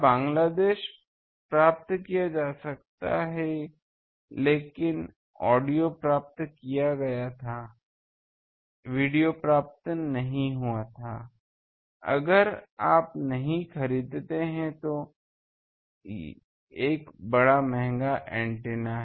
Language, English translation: Hindi, So, Bangladesh can be received, but audio was received, but video was not received means if you do not purchase that that was a big costly that antenna